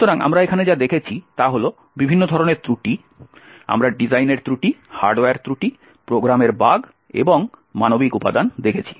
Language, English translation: Bengali, So, what we have seen over here are different types of flaws, we have seen design flaws, hardware flaws, bugs in the program and the human factor